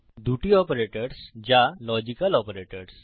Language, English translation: Bengali, Two operators that are logical operators